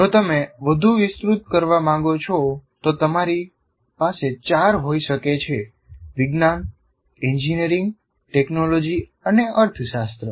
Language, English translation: Gujarati, And if you want to again expand, you can have four science, engineering, technology, and I can call it economics